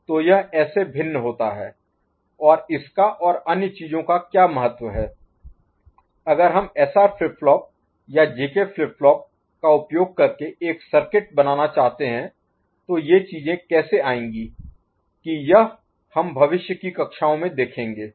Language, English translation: Hindi, So, this is how it differs and what is it is significance and other things ok, if we want to realise a circuit using SR flip flop or JK flip flop, how these things will come up that we shall explore in future classes